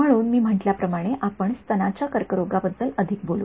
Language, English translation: Marathi, So, as I have said we will talk more about breast cancer right